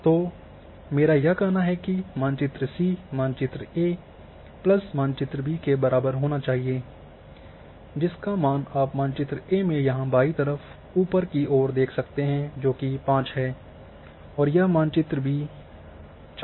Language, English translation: Hindi, So, I say map C should equal to map A plus map B, so this is you can check it like the top left value was a map A was 5 this is map B 4